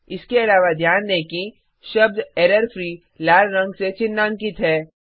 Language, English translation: Hindi, Also notice that the word errorfreeis underlined in red colour